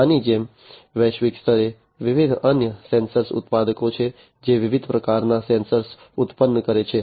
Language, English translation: Gujarati, Like this, there are many different other sensor manufacturers globally, that produce different types of sensors